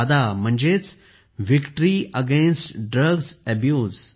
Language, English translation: Marathi, VADA means Victory Against Drug Abuse